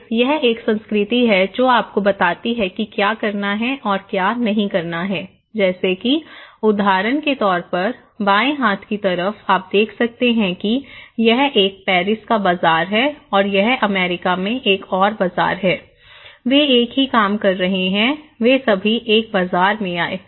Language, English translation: Hindi, Then, this is a culture that tells you what to do and what not to do, doing, being, explaining like for example in the left hand side, you can see that this is a market in Paris, okay and this is another market in US, they are doing the same thing, they all came in a market